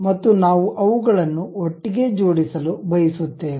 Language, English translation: Kannada, And we would like to really mate them together